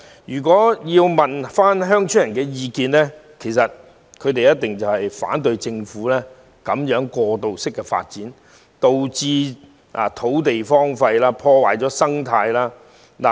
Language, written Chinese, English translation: Cantonese, 如果問鄉村居民的意見，他們一定反對政府進行這種過度發展，導致土地荒廢，破壞生態。, If rural residents were asked to express their views they would definitely object to this sort of excessive developments undertaken by the Government because this has led to desolation of land and ecological destruction